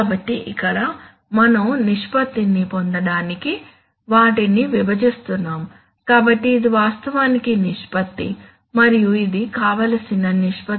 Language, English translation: Telugu, So here we are dividing them to get the ratio, so this is the actual ratio, and this is the desired ratio